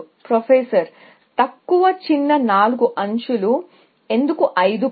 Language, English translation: Telugu, Lower shortest four edges; why not five